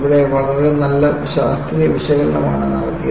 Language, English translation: Malayalam, And, this was done a very nice scientific analysis